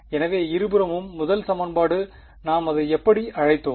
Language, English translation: Tamil, So, the first equation on both sides, what did we call it